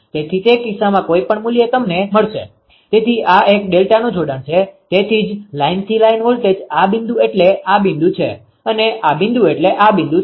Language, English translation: Gujarati, So, in in in that case whatever value you will get right, so ah this is a delta connection, so why line to line voltage this point means this point this point mean this point